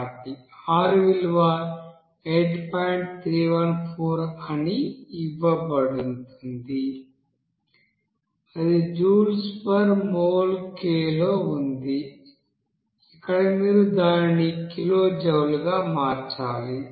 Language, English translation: Telugu, 314 that is in joule by mole K into here you have to convert it to kilojoule